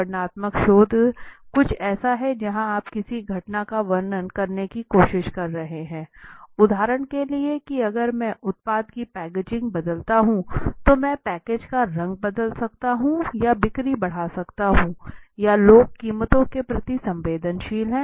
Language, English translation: Hindi, The descriptive research can be please understand the descriptive research is something where you are trying to describe a phenomena if I say for example that if I change the packaging of the product if I change the color of the package may be it might increase the sales or people are sensitive to the prices right